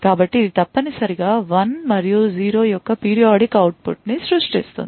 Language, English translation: Telugu, So, it essentially creates a periodic output of 1 and 0